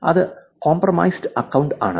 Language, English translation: Malayalam, That is compromised account